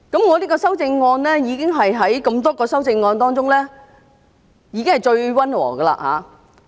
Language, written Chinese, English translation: Cantonese, 我這項修正案是多項修正案當中最溫和的了。, This is the most moderate among the various amendments